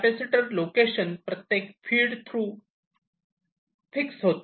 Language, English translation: Marathi, the capacitor location of each feed through is fixed